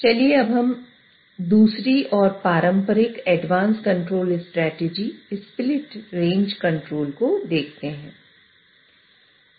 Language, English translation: Hindi, So let us now look at the second traditional advanced control strategy, split range control